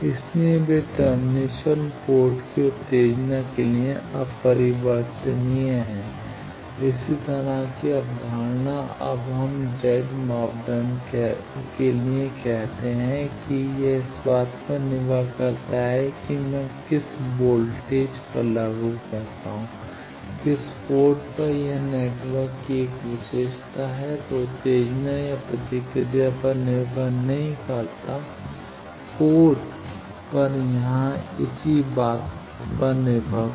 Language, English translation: Hindi, So, they are invariant to termination port excitation does not do think, similar concept that when we say Z parameter it does not depend on what voltage I apply, at which port it is a property of the network it does not depend on excitation or response at the ports similar thing here